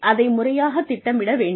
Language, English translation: Tamil, It has to be planned properly